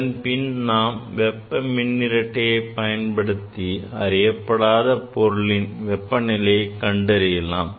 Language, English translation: Tamil, And then we can use that thermocouple for measurement of the unknown temperature